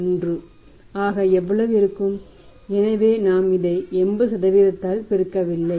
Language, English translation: Tamil, 01, so we will not multiplied it by this 80%